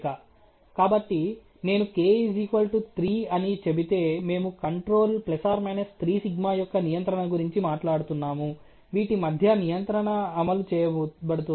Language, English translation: Telugu, So, if I were to say to k=3, we are talking a control of you know ±3σ between which the control is being executed ok